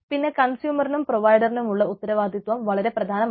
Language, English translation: Malayalam, responsibilities of the provider and consumer is important